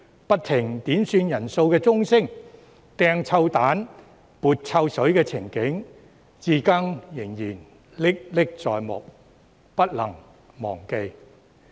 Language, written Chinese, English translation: Cantonese, 不停響起的點算人數鐘聲、擲臭蛋、潑臭水的情景，我至今仍歷歷在目，不能忘記。, The endless ringing of the quorum bell their throwing of rotten eggs and splashing of foul - smelling liquid are the scenes which remain so vivid in my memory that I cannot possibly forget until now